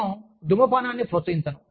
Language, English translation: Telugu, I do not promote smoking